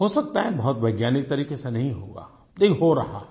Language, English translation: Hindi, Maybe it is not being done in a very scientific way, but it is being done